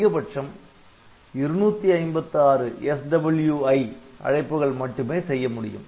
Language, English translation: Tamil, Maximum SWI calls limited to 256